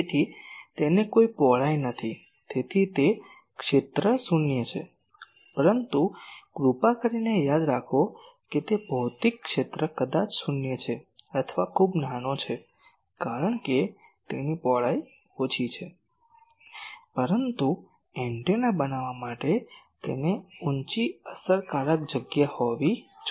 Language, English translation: Gujarati, So, it does not have any width so, it is area is zero but, please remember that the it is physical area maybe zero, or very small because its width is small, but to be an antenna it should have a high effective area